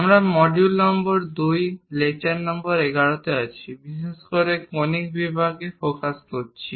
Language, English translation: Bengali, We are in module number 2, lecture number 11, especially focusing on Conic Sections